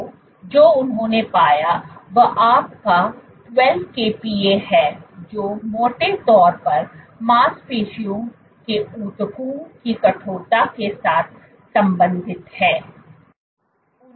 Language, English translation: Hindi, So, what they found so this is your 12 kPa which roughly correlates with stiffness of muscle tissue